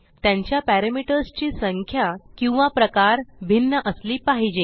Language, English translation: Marathi, They must differ in number or types of parameters